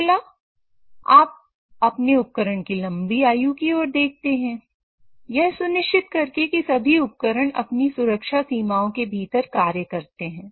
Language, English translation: Hindi, Then you look at elongating the life of your equipment by trying to ensure that all the equipment operate within their safe limit